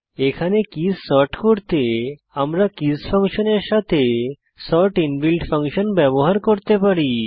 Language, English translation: Bengali, Here, to sort the keys we have used the sort inbuilt function, along with the keys function